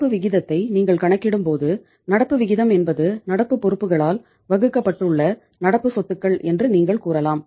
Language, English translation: Tamil, You see that when you calculate the current ratio, the current ratio is the uh you can say it is the current assets divided by the current liabilities right